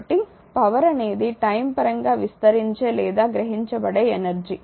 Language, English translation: Telugu, So, power is the time rate of a expanding or a absorbing energy